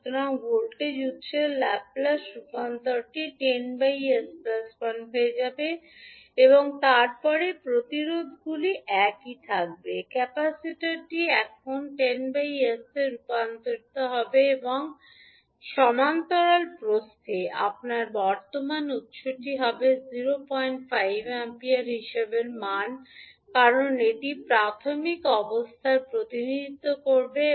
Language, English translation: Bengali, So, the Laplace transform of the voltage source will become 10 upon s plus 1 and then resistances will remain same, the capacitor now will get converted into the 1 upon sc would be nothing but the 10 by s, and in parallel width you will have one current source having 0